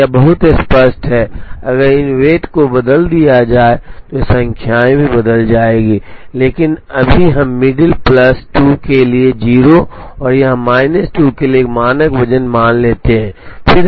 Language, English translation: Hindi, So, it is very clear that if these weights are changed these numbers will also change, but right now let us assume a standard weight of 0 for the middle plus 2 here and minus 2 here